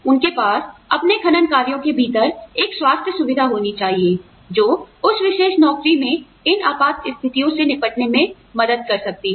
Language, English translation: Hindi, They have to have, a health facility, within their mining operations, that can help deal with, these emergencies, that are very common, in that particular job